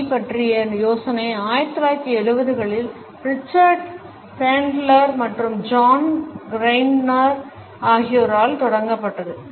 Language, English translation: Tamil, The idea of NLP was started in 1970s by Richard Bandler and John Grinder